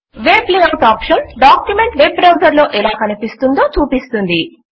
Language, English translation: Telugu, The Web Layout option displays the document as seen in a Web browser